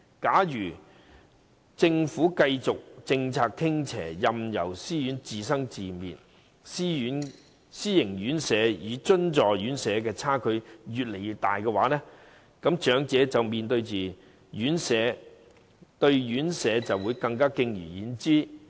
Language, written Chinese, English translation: Cantonese, 假如政府的政策繼續傾斜，任由私營院舍自生自滅，私營院舍與津助院舍的差距只會越來越大，而長者對私營院舍更會敬而遠之。, If the Government continues to adopt tilted policies and leave self - financing RCHEs to fend for themselves the gap between self - financing and subsidized RCHEs will keep widening thus aggravating the reservation of elderly people about self - financing RCHEs and preventing them from settling there